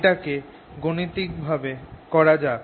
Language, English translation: Bengali, let's see it mathematically